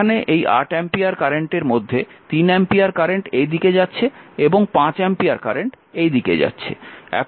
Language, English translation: Bengali, Now, next is the 3 ampere now here in here it is now this 8 ampere, current 3 ampere is going here, 5 ampere is going here